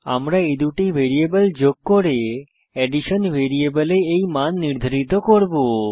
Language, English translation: Bengali, Now I added these two numbers and assign the value to a third variable named addition